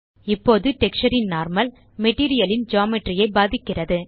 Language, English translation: Tamil, Now the Normal of the texture influences the Geometry of the Material